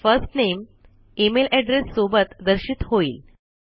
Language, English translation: Marathi, The First Names along with the email address are displayed